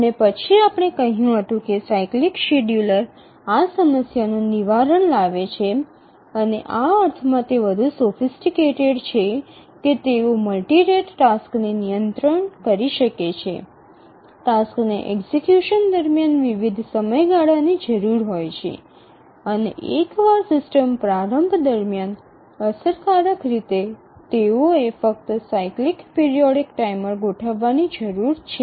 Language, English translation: Gujarati, And then we had said that the cyclic schedulers overcome this problem and also these are much more sophisticated in the sense that they can handle multi rate tasks, tasks requiring execution in different time periods and that too efficiently they require a cyclic periodic timer only once during the system initialization